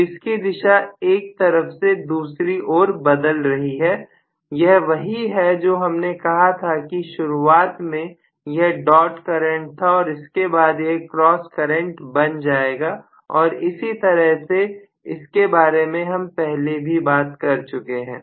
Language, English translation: Hindi, So, it is defecting from one side to another side that is what we said initially may be it was dot current then it will become a cross current and vice versa that is what we were talking about